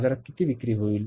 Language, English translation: Marathi, How much we are going to sell